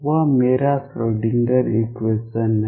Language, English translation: Hindi, That is my Schrödinger equation